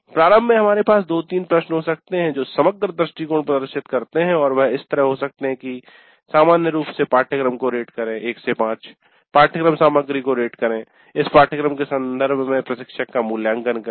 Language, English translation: Hindi, Then initially we can have two three questions which elicit the overall view and that can be like rate the course in general 1 to 5 rate the course content rate the instructor with reference to this course